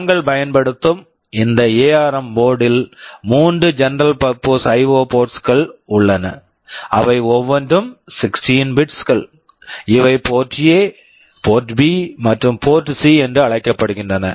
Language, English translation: Tamil, You should remember that in this ARM board we are using, there are three general purpose IO ports, each of them are 16 bits, these are called port A, port B and port C